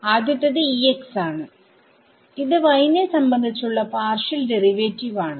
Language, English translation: Malayalam, So, the first one is E x partial derivative with respect to y